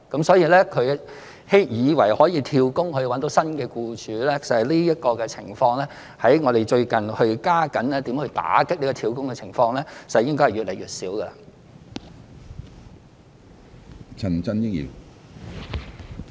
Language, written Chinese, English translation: Cantonese, 所以，外傭以為可以"跳工"，尋找新僱主的情況，在我們最近加緊打擊"跳工"之下，應該會越來越少。, So there should be dwindling cases of FDHs trying to find new employers by job - hopping with our stepped - up efforts in combating job - hopping recently